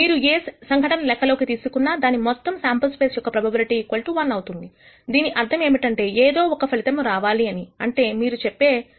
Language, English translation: Telugu, For any event that you might consider also the probability of the entire sample space should be equal to 1, which means 1 of the outcomes should occur; that is, what it means when you say P of S is equal to 1